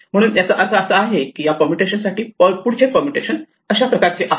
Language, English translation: Marathi, Therefore, this means that for this permutation the next permutation is this one